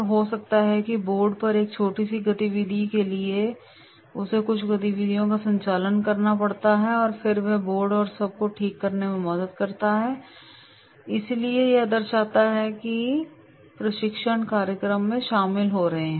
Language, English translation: Hindi, Maybe a small activity on the board he has to conduct certain activities and then they are helping fixing of the board and all, so this shows that they are having involvement in the training program